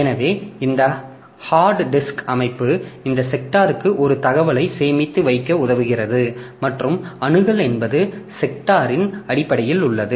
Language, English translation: Tamil, So, this way this hard disk drive structure enables us to have this information stored per sector and access is in terms of sectors